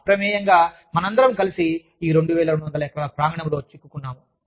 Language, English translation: Telugu, By default, we are all stuck in this 2200 acre campus, together